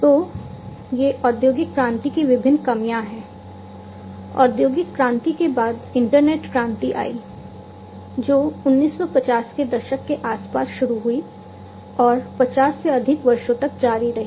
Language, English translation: Hindi, So, these are the different drawbacks of industrial revolution, the industrial revolution was followed by the internet revolution, which started around the nineteen 50s and continued for more than 50 years